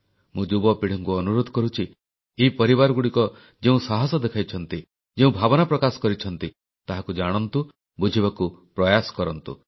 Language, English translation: Odia, I urge the young generation to know and understand the fortitude and the sentiment displayed by these families